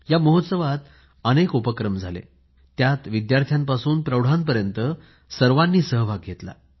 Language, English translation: Marathi, A plethora of activities were organized during this festival, which found full participation of students and adults